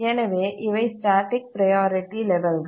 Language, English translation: Tamil, So, these are static priority levels